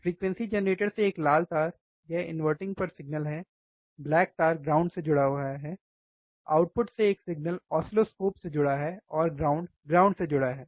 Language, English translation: Hindi, One red wire from the frequency generator, that is the signal to the inverting black to the ground from the output one signal to the oscilloscope ground connected to the ground